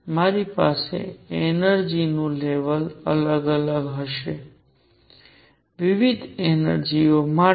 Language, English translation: Gujarati, I am going to have different energy levels, different energies